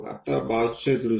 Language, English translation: Marathi, Now, side view